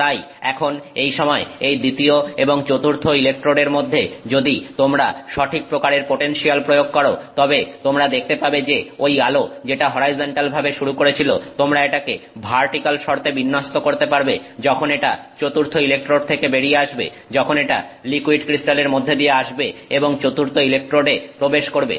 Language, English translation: Bengali, So, so now by the time, so between the second electrode and the fourth electrode, if you apply the correct kind of potential then you will find that light that was that started of horizontal you can orient it to vertical condition as it comes off the fourth electrode as it comes through the liquid crystal layer and enters the fourth electrode